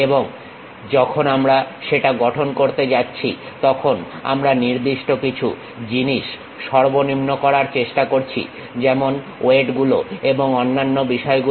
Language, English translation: Bengali, And when we are constructing that, we try to minimize certain issues like weights and other thing